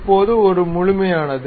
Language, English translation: Tamil, So, now, it is a complete one